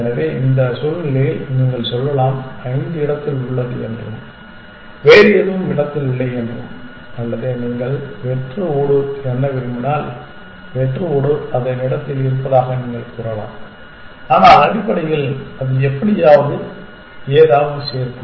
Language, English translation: Tamil, So, you can say in this situation five is in place and nothing else is in place or if you want to count the blank tile as well then you can says the blank tile is in its place, but that will anyway add up to something essentially